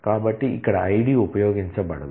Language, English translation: Telugu, So, here ID is not used